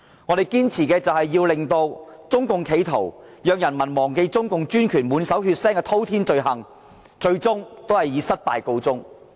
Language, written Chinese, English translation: Cantonese, 我們的堅持，是要令中共要人民忘記中共專權滿手血腥滔天罪行的企圖，最終以失敗告終。, By persevering we want to prevent CPC from successfully making people forget the atrocities it had committed under the authoritarian rule